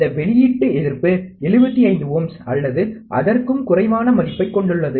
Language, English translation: Tamil, This output resistance, has a typical value of 75 ohms or less